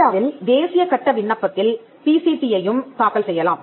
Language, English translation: Tamil, You can also file a PCT in national phase application in India